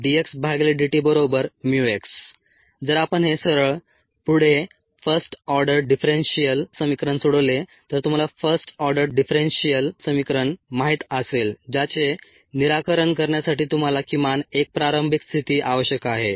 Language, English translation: Marathi, if we solve this, a straight forward, first order differential equation you know the first order differential equation you need atleast one initial condition to solve